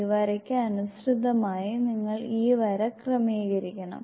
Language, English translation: Malayalam, You have to adjust this line in accordance with this line